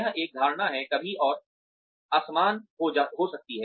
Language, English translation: Hindi, This is a perception, may be lacking and uneven